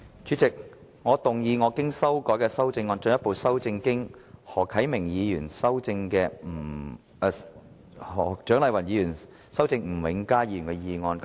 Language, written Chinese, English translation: Cantonese, 主席，我動議我經修改的修正案，進一步修正經何啟明議員和蔣麗芸議員修正的吳永嘉議員議案。, President I move that Mr Jimmy NGs motion as amended by Mr HO Kai - ming and Dr CHIANG Lai - wan be further amended by my revised amendment